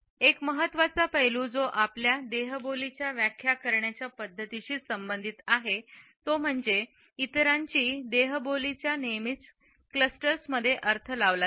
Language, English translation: Marathi, A very important aspect which is essentially related with the way we interpret body language of others is that it is always interpreted in clusters